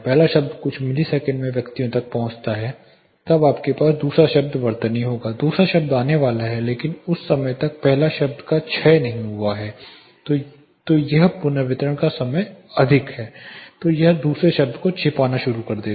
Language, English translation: Hindi, The first word reaches the persons here in a few milliseconds, then you will have the second word spell; the second word will be coming, but by the time if the first signal has not decayed down or the reverberation time is high then this would start masking the second one